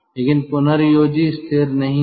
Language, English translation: Hindi, but the regenerator is not fixed